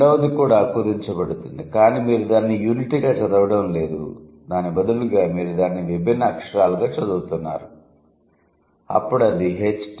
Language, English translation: Telugu, The second one is also shortening it but you are not reading it as a unit, rather you are reading it as distinct letters